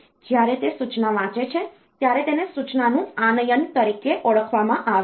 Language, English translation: Gujarati, When it is reading the instruction, this is known as the fetching of instruction